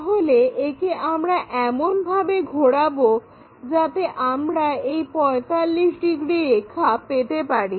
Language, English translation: Bengali, So, we rotate it in such a way that we will get this 45 degrees line